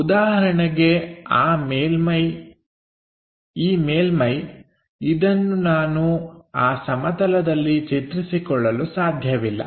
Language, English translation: Kannada, For example, this surface I can not visualize it on that plane